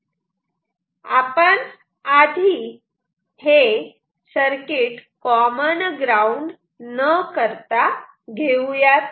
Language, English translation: Marathi, So, let us take this circuit first without the common ground